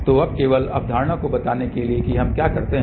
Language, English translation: Hindi, So, now, just to tell the concept what we do